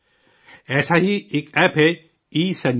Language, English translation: Urdu, There is one such App, ESanjeevani